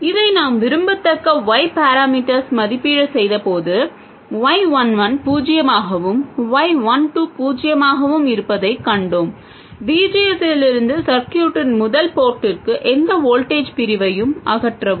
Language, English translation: Tamil, This we saw earlier when we evaluated the desirable Y parameters, we saw that Y 1 1 being 0 and Y 1 2 being 0 eliminate any voltage division from VS to the first port of the circuit